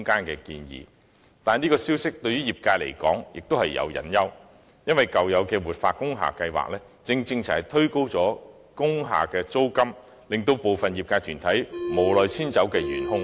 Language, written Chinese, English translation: Cantonese, 可是，對業界而言，這項建議也有隱憂，因為舊有的活化工廈計劃，正正就是推高工廈租金、令部分業界團體無奈遷出工廈的元兇。, However as far as the industries are concerned there are hidden worries in this suggestion because the previous revitalization scheme for industrial buildings had precisely been the culprit for pushing up rents of industrial buildings forcing some groups in the industry out of industrial buildings reluctantly